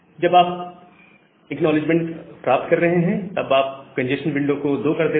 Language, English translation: Hindi, Once you are getting an acknowledgement, you make the congestion window to 2